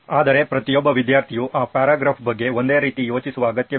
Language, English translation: Kannada, But every student need not necessarily be thinking the same thing about that paragraph